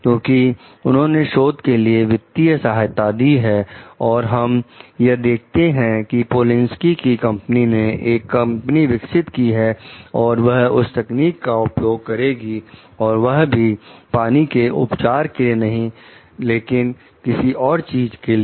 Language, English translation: Hindi, They because, they have funded the research for it; and again when we find like Polinski s company they have developed some company for use the technology, for not for water treatment, for something else